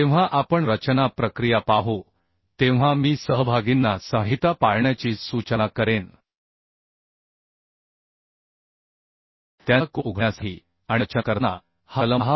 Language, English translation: Marathi, 4 So while we will see the design procedure I would suggest the participants to follow the codal provisions also to open their code and to open this clause 10